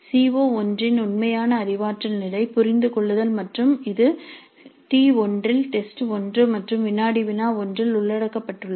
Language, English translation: Tamil, You can see CO1, the actual cognitive level of CO1 is understand and that is being covered in T1 that is test one and quiz one